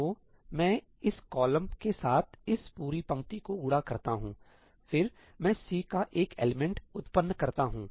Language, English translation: Hindi, So, I multiply this whole row with this column, then I generate one element of C